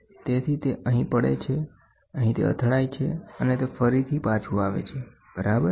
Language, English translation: Gujarati, So, it falls on here it hits here, and it again comes back, ok